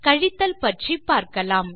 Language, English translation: Tamil, Okay now lets try minus